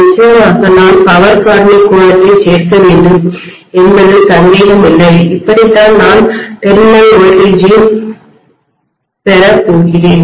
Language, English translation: Tamil, Of course I have to include the power factor angle, no doubt, this is how I am going to get terminal voltage